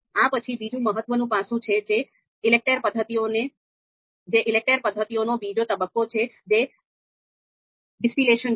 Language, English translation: Gujarati, And after this, the another important aspect which is actually referring to the second phase of ELECTRE you know method is distillation